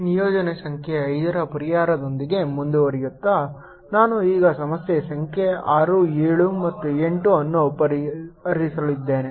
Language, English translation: Kannada, continuing with solution of assignment number five, i am now going to solve problem number six, seven and eighth